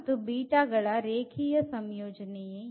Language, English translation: Kannada, So, what is linear combination